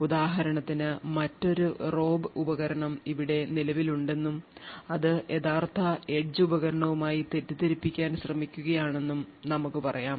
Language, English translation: Malayalam, Now for instance let us say that there is another rogue device that is present here and which is trying to masquerade as the original edge device